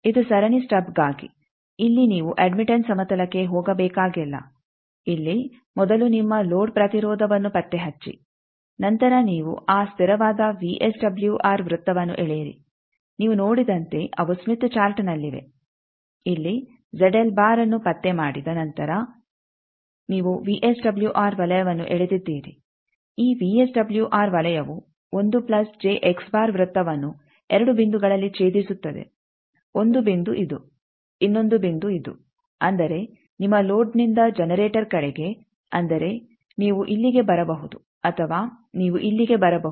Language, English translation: Kannada, This is for series stub, here in you need not go to the admittance plane here first you locate your load impedance then you draw that constant VSWR circle as you see they are in the smith chart the after locating the Z l after locating the Z l here then you have drawn the VSWR circle then this VSWR circle intersecting this 1 plus j x circle at 2 points 1 point is this another point is this so that means, from your load towards generator means you can come here or you can come to here